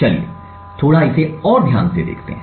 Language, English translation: Hindi, So, let us look at it a little bit more closely